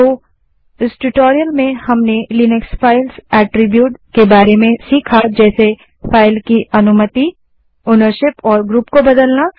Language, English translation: Hindi, So in this tutorial we have learnt about the Linux Files Attributes like changing permission, ownership and group of a file